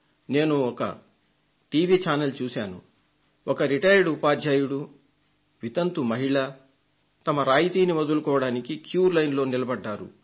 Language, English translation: Telugu, V, a retired teacher, a widow lady standing in a queue to give up her subsidy